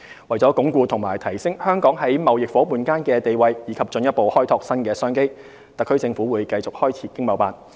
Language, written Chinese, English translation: Cantonese, 為了鞏固及提升香港在貿易夥伴間的地位，以及進一步開拓新商機，特區政府會繼續開設經貿辦。, In order to consolidate Hong Kongs presence among its trading partners and explore new business opportunities the HKSAR Government will continue establishing ETOs overseas